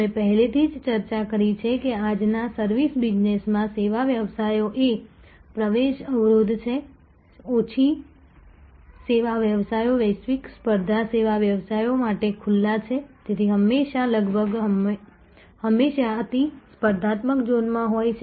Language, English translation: Gujarati, And why in today service business, because we have already discuss service businesses are the entry barrier is low service businesses are very open to global competition service businesses therefore, always almost always in a hyper competitive zone